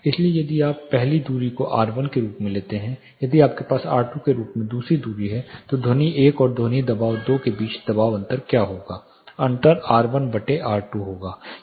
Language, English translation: Hindi, So, if you take the first distance as r 1, if you have second distance as r 2 what will be the pressure difference between the sound pressure 1 and sound pressure 2 the difference will be r 2 by r 1